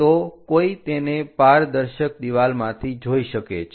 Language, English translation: Gujarati, So, one can really look at from transparent wall